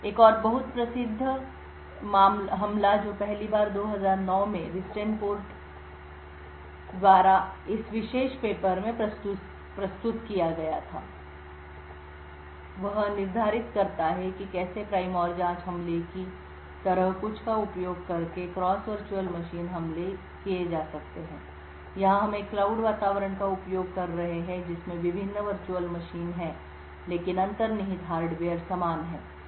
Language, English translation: Hindi, Another very famous attack which was first presented in this particular paper by Ristenpart in 2009, determines how cross virtual machine attacks can be done using something like the prime and probe attack, here we are using a cloud environment which have different virtual machines but the underlying hardware is the same